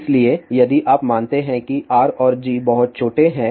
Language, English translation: Hindi, So, if you assume that R and G are very small